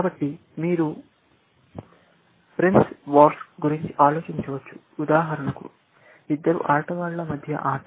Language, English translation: Telugu, So, you can think of Price Wars, for example, as the game between two players